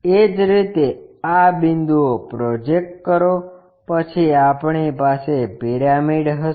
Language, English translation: Gujarati, Similarly, project these points, then we will have the prismthe pyramid